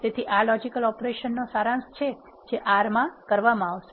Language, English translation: Gujarati, So, this is the summary of logical operations that can be performed in R